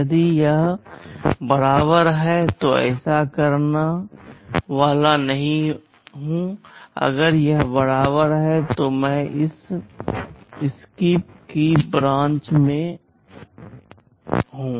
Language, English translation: Hindi, If it is equal then I am not supposed to do this; if it is equal I am branching to this SKIP